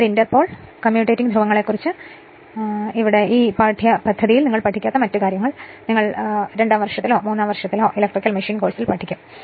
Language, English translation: Malayalam, This inter pole you are what you call about this commutating poles other things you will not study for this course you will study in your second year or third year electrical machine course